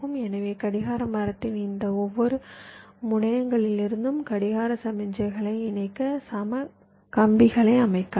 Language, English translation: Tamil, so from each of this terminals of the clock tree you can layout equal wires to connect the clock signals